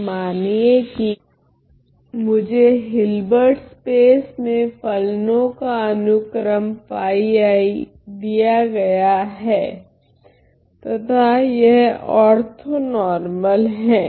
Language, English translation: Hindi, So, suppose I am given the sequence of functions phis in this Hilbert space and phi is are orthonormal